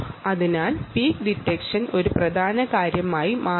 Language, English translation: Malayalam, so peak detection becomes an important thing